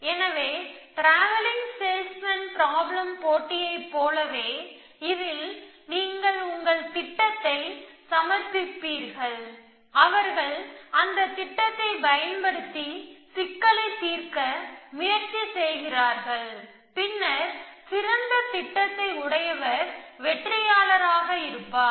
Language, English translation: Tamil, So, just like you had this travelling salesman problem competition, in this you submit your planner and they try it out to set up problem and then the planner which was best is does the to be the winner